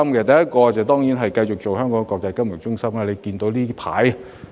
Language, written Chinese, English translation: Cantonese, 第一，當然是繼續發揮其國際金融中心的角色。, First Hong Kong should of course continue to play its role as an international financial centre